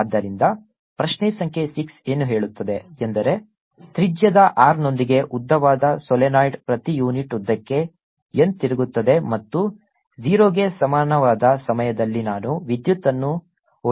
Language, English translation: Kannada, question number six states a long solenoid with radius r has n turns per unit length and is carrying a current i naught at time t equal to zero